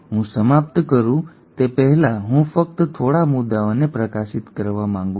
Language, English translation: Gujarati, Before I wind up, I just want to highlight few points